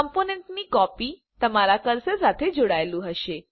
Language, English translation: Gujarati, A copy of the component will be tied to your cursor